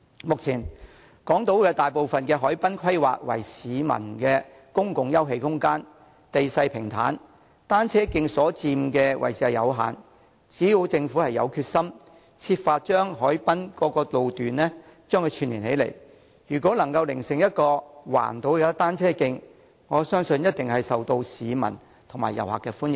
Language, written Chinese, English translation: Cantonese, 目前，港島大部分海濱規劃為市民的公共休憩空間，地勢平坦，單車徑所佔的位置有限，只要政府有決心，設法將海濱各路段串連起來，成為環島單車徑，我相信一定會受市民和遊客歡迎。, At present a large part of the harbourfront on Hong Kong Island is zoned as public open space . The land is even and the space occupied by cycle tracks is limited . I believe that so long as the Government tries with determination to link up various sections of the harbourfront to form a cycle track round the Island it will definitely be welcomed by members of the public and tourists